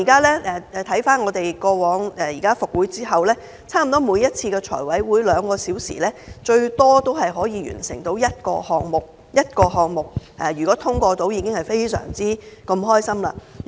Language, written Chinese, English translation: Cantonese, 立法會復會後，差不多每次財委會兩小時的會議，最多只能完成審批一個項目，即使可以通過一個項目，我們已經非常高興。, After the commencement of the new legislative session FC more often than not can at most approve one funding item in a two - hour meeting . Yet we are still pleased with this achievement